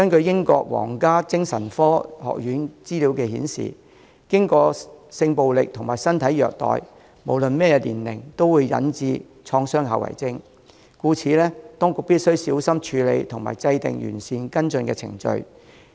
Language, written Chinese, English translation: Cantonese, 英國皇家精神科學院的資料顯示，經歷過性暴力和身體虐待的人，無論任何年齡，都會患上創傷後遺症，故此，當局必須小心處理和制訂完善跟進程序。, Information of the Royal College of Psychiatrists shows that people who have experienced sexual violence and physical abuse regardless of age will suffer from post - traumatic stress disorder . Therefore the authorities must handle these cases with care and formulate comprehensive follow - up procedures